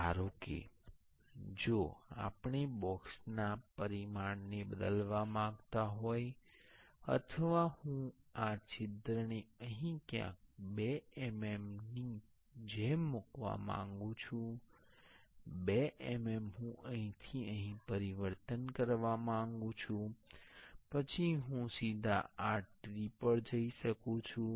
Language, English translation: Gujarati, And if we want to suppose if we want to change this dimension of the box, or I want to place this hole somewhere here like 2 mm; 2 mm, I want to change from here to here, then I can directly go to this tree